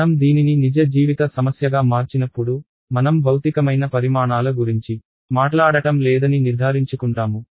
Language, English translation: Telugu, When I convert this to a real life problem, I will make sure that I am not talking about unphysical quantities